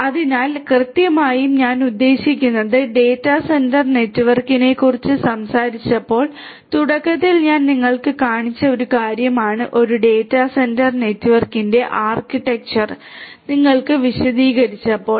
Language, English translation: Malayalam, So, exactly I mean this is something that I had shown you in the at the outset when I talked about the data centre network when I explained to you the architecture typical architecture of a data centre network